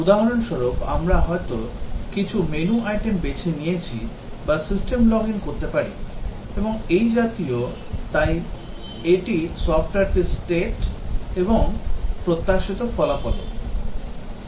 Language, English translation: Bengali, For example, we might have chosen certain menu item or may be logged into the system and so on, so that is the state of the software and also the expected result